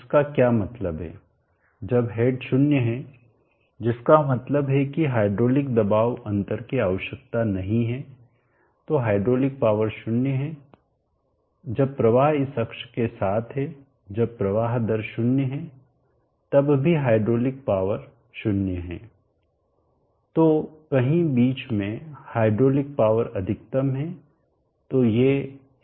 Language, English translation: Hindi, What it means is that when the head is 0, which means that there is no hydraulic pressure difference needed, then the hydraulic power is 0 when the flow along this axis when the flow rate is 0 even then the hydraulic power is 0 somewhere in between the hydraulic power is maximum so these are the points where you have the maximum hydraulic power and those are operating points at which the efficiency would be maximum